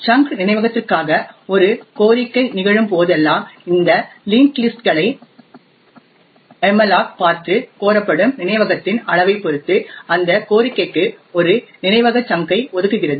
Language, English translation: Tamil, In whenever a request occurs for a chunked of memory, then malloc would look into these linked lists and allocate a chunk of memory to that request depending on the amount of memory that gets requested